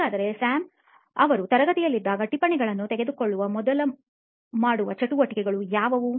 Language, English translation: Kannada, So what would be some of the activities that Sam does before he actually takes notes while he is in class